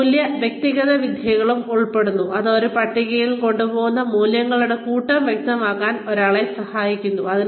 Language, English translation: Malayalam, Which also include, value clarification techniques, in which, one is helped to clarify, the set of values, one brings to the table